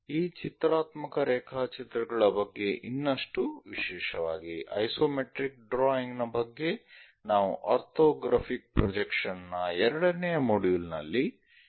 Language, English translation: Kannada, More about this pictorial drawings, especially the isometric drawings we will learn in orthographic projections second module